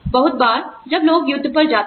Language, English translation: Hindi, A lot of times, when people go to war